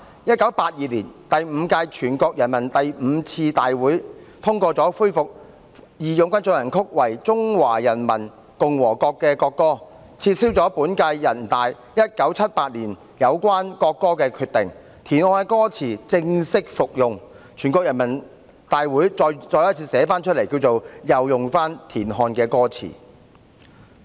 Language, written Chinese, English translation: Cantonese, 1982年，第五屆全國人大第五次會議通過恢復"義勇軍進行曲"為中華人民共和國國歌，撤銷本屆全國人大於1978年有關國歌的決定，田漢的歌詞正式復用，全國人大再次批准使用田漢的歌詞。, In 1982 the Fifth Session of the Fifth NPC approved the restoration of March of the Volunteers as the national anthem of the Peoples Republic of China and revoked the decision of the then current NPC made on the national anthem in 1978 . The lyrics of TIAN Han were officially put to use again . NPC approved again the use of the lyrics of TIAN Han